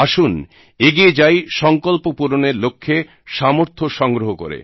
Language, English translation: Bengali, Let's enable ourselves to fulfill our resolutions